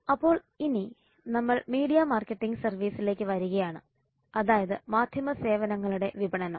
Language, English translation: Malayalam, so then we come to media services marketing that marketing of media services